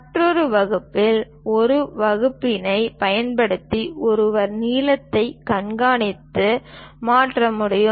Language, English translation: Tamil, The other one is divider, using divider, one can track and transfer lengths